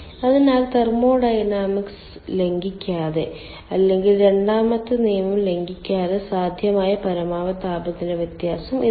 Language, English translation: Malayalam, so you see, this is the maximum temperature difference possible without violating thermodynamics or without violating second law